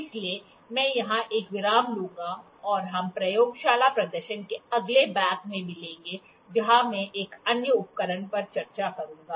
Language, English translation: Hindi, So, I will take a break here and we will meet in the next part of laboratory demonstration where I will discuss another instrument